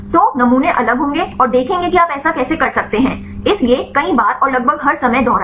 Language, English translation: Hindi, So, the samples will be different and see how can you do that; so, repeat several times and almost all the time